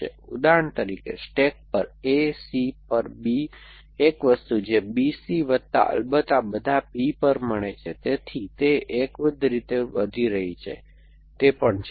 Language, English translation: Gujarati, So, for example A on a stack B on C, one thing that gets on B C plus of course all these P, so it is growing monotonically, it is also